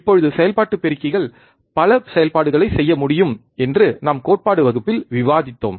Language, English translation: Tamil, Now we have already discussed in the theory class that operational amplifiers can do several operations, right